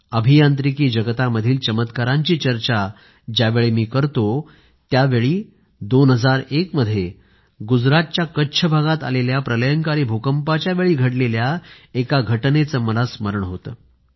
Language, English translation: Marathi, When I talk of wonders in the Engineering world, I am reminded of an incident of 2001 when a devastating earth quake hit Kutch in Gujarat